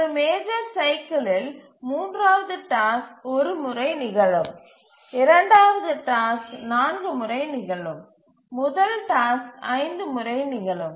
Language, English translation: Tamil, So, in one major cycle, the third task will occur once, the second task will occur four times and the first task will occur five times